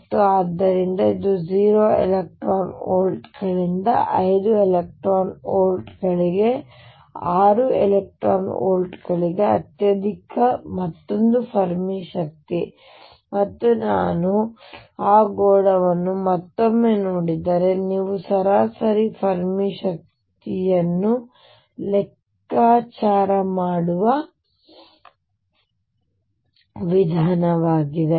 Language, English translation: Kannada, And so, it varies from 0 electron volts to 5 electron volts 6 electron volts the highest another Fermi energy and the way you calculate the average Fermi energy is if I again look at that sphere